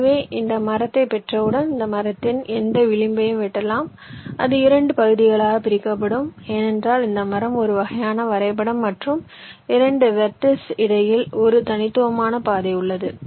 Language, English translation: Tamil, any edge you cut it will divide up into two parts, because you know a tree is a kind of a graph where there is a unique path between two vertices